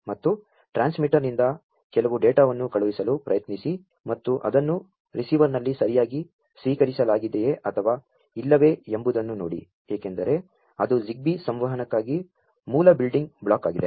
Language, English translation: Kannada, And try to send some data from the transmitter and see whether it has been correctly received at the receiver or not, because that is the basic building block for ZigBee communication